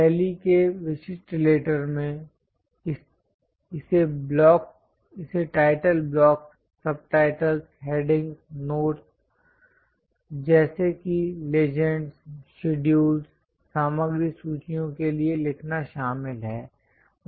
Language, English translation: Hindi, The typical letter in style involves for writing it for title blocks, subtitles, headings, notes such as legends, schedules, material list